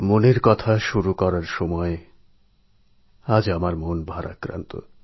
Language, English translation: Bengali, I begin 'Mann Ki Baat' today with a heavy heart